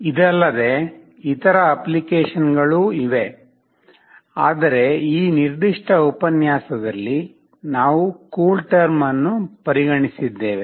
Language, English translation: Kannada, There are other applications as well, but we have considered CoolTerm in this particular lecture